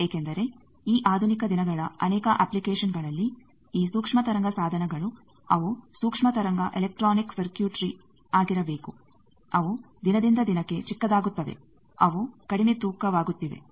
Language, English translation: Kannada, Because in many of these modern days application these microwave devices they need to be you know microwave electronic circuitry they are day by day they are becoming miniaturized they are becoming light weight